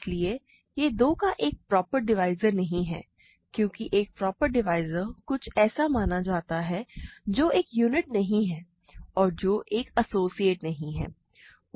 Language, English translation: Hindi, So, it is not a proper divisor, right of 2, because a proper divisor is supposed to be something which is not a unit and which is not an associate